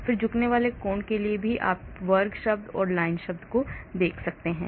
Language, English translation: Hindi, then for the angle bending also you can see square term and a liner term